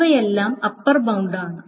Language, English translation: Malayalam, So these are all upper bounds